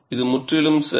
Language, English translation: Tamil, This is perfectly alright